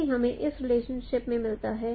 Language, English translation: Hindi, That is what we get in this relationship